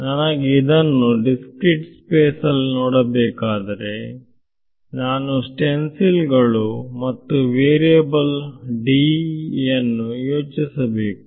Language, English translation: Kannada, So, if I want to look at it in discretize space then I have to think of these stencils and discretized versions of which variable D right